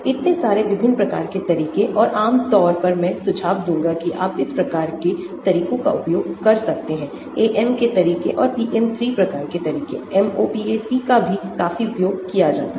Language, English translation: Hindi, so many different types of methods and generally I would suggest if you are; you can use these type of methods; the AM methods and PM3 type of methods of course, MOPAC is also used quite a lot